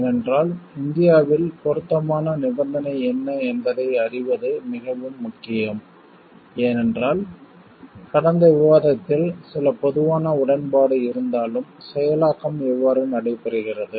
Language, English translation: Tamil, Because it is very important to know what is the relevant condition in India because in the last discussion we saw like though there is some general agreement, but how the execution takes place